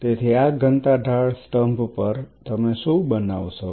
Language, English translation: Gujarati, So, what is the density gradient column